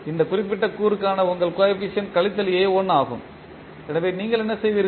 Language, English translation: Tamil, You coefficient for this particular component is minus a1, so, what you will do